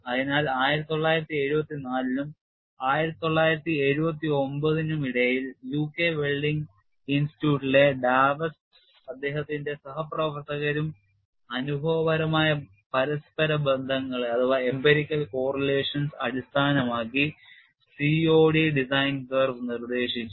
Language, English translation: Malayalam, So, Dews and his co workers between the years 1974 and 1979 at UK Welding Institute proposed COD design curve based on empirical correlations